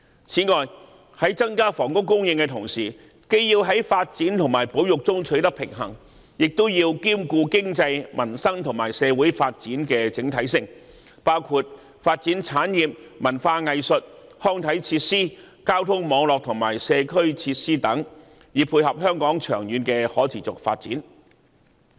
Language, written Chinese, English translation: Cantonese, 此外，在增加房屋供應之際，既要在發展與保育之間取得平衡，也要兼顧經濟、民生和社會的整體發展，包括發展產業、文化藝術、康體設施、交通網絡和社區設施等，以配合香港長遠的可持續發展。, Moreover while increasing housing supply it is necessary to strike a balance between development and conservation . The overall development of the economy peoples livelihood and society including the development of industries culture and arts recreational and sports facilities transport networks and community facilities also need to be considered to dovetail with Hong Kongs sustainable development in the long term